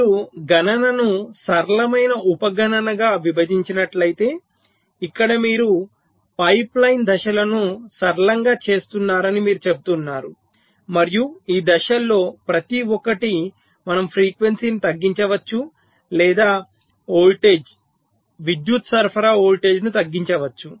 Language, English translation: Telugu, so here you are saying that we are making the pipe line stages simpler, just like you do divide a computation into simpler sub computation and each of this stages we can either reduce the frequency or we can reduce the voltage, power supply voltage